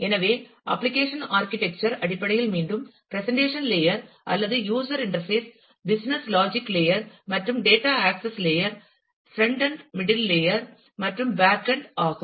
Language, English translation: Tamil, So, in terms of the application architecture again the presentation layer, or the user interface, business logic layer, and the data access layer, the frontend, the middle layer and the backend